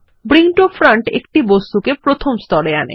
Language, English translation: Bengali, Bring to Front brings an object to the first layer